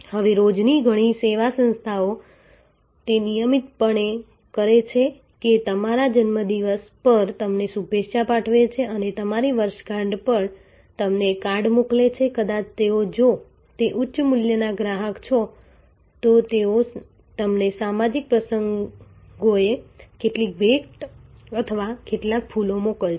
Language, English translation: Gujarati, Now a day's many service organizations do it routinely that greet you on your birthday send you a card on your anniversary may be sometimes they will if you are high value customer, they will send you some gift or some flowers on social occasions